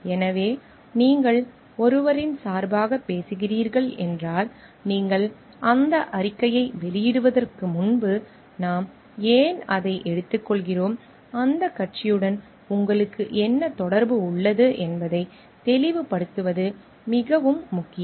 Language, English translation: Tamil, So, it is very important like if you are talking on behalf of someone, you should be expressing that before you make that statement and why we are taking on behalf of that, what is your interest association with that party needs to be clarified